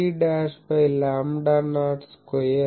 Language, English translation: Telugu, 2 ab dashed by lambda not square